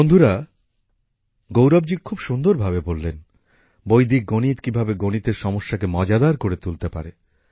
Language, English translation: Bengali, Friends, Gaurav ji has very well explained how Vedic maths can transform mathematicsfrom complex to fun